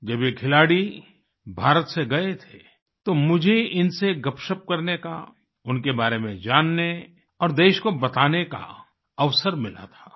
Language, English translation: Hindi, " When these sportspersons had departed from India, I had the opportunity of chatting with them, knowing about them and conveying it to the country